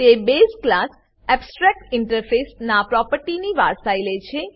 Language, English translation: Gujarati, It inherits the properties of the base class abstractinterface